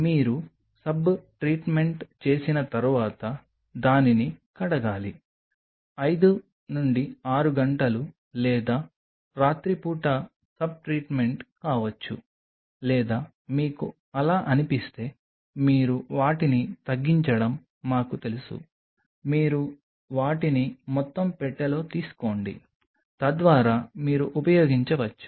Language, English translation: Telugu, Once you do the soap treatment then you wash it, may be a soap treatment of 5 6 hours or maybe overnight if you feel like that we you know you reduce your you take a bunch of them the whole box so, that you can use it over a period of time